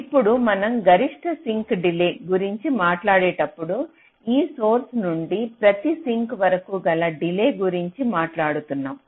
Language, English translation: Telugu, now, when we talk about the maximum sink delay, so what we are talking about is this: from this source down to each of the sinks